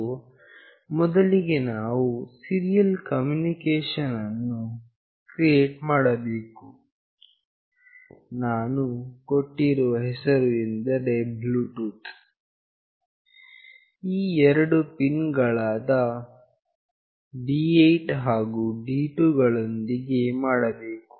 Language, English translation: Kannada, So, first we have to create the serial communication; the name that I have given is “Bluetooth”, with these two pins D8 and D2